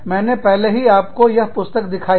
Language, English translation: Hindi, I have already shown you, that book